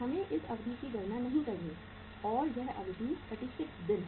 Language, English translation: Hindi, We are not to calculate this duration which is 36 days